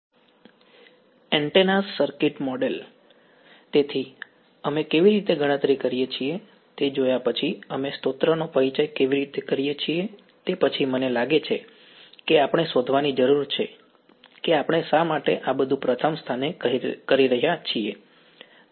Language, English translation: Gujarati, Right so, having seen how we calculate how we introduce the source the next I think that we have to find out is why are we doing all of these in the first place ok